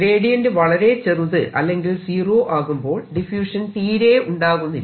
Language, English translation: Malayalam, if gradient is small, if gradient is zero, there will be no diffusion